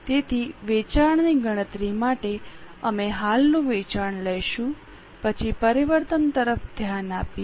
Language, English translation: Gujarati, So, for calculating sales, we will take the current sales, then look at the changes